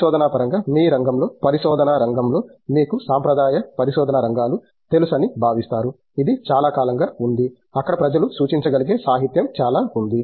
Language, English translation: Telugu, But in terms of research, are there areas of research in your field which are considered you know traditional areas of research, which have been there for a long time where may be there is lot of literature out there that people can refer to